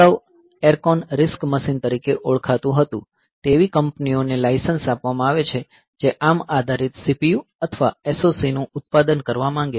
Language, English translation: Gujarati, Previously known as Acron RISC machine, it is licensed to companies that want to manufacture ARM based a CPUs or SOC products